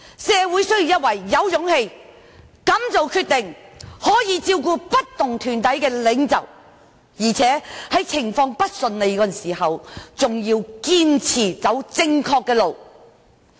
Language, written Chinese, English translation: Cantonese, 社會需要一位具備勇氣、敢作決定，以及能照顧不同團體的領袖，而且在情況不順利時更要堅持走正確的路。, Society needs a courageous and decisive leader who can address issues related to different groups and insist on the right track at moments of difficulties